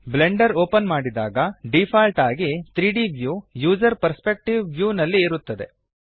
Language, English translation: Kannada, By default, when Blender opens, the 3D view is in the User Perspective view